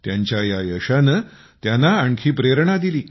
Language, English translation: Marathi, This success of his inspired him even more